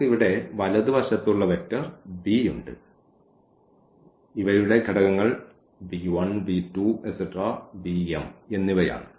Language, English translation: Malayalam, And then we have the right hand side vector here b whose components are these b 1 b 2 b 3 and b m